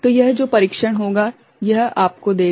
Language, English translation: Hindi, So, this test will it will give you right